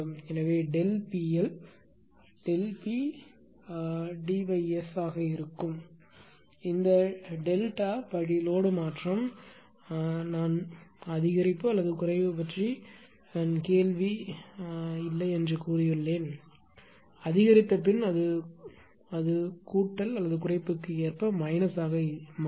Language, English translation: Tamil, So, delta P L will be delta P d upon S; this delta step load change I have said no a question of increase or decrease; according to the increase it will plus according to decrease it will be minus